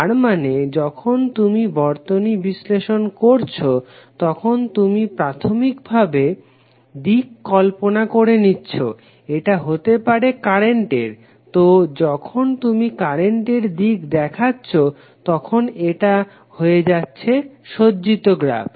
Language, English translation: Bengali, That means that you when you analysis the circuit you imagine a the initial direction of may be the current, so then if you show the direction of the current then this will become a oriented graph